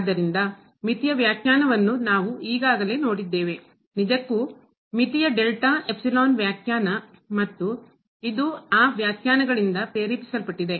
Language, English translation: Kannada, So, we have already seen the definition of a limit indeed the limit delta epsilon definition of limit and this is motivated by that definitions